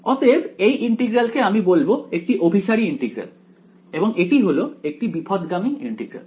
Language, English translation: Bengali, So, this integral I will call it a convergent integral and this is a divergent integral